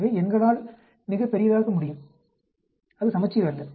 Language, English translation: Tamil, So, the numbers can be very very large, it is not symmetric